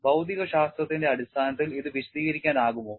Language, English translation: Malayalam, Can this be explained on the basis of physics